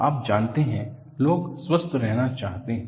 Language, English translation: Hindi, You know, people want to be healthy